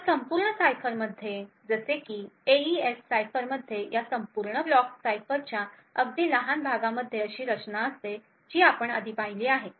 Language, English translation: Marathi, So, in a complete cipher such as an AES cipher a very small part of this entire block cipher is having a structure as we have seen before